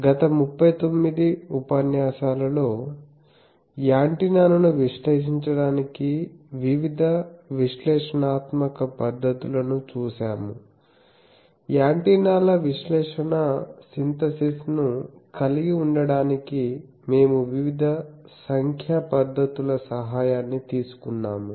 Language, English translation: Telugu, For last 39 lectures, we have seen various analytical methods to analyze the antenna; we also took the help of various numerical techniques some numerical techniques to have the antennas analysis synthesis etc